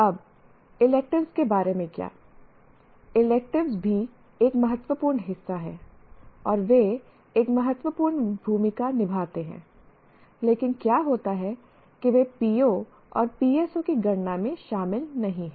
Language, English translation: Hindi, Electives are also, they constitute an important part and they do play an important role, but what happens is they are not included in computing the P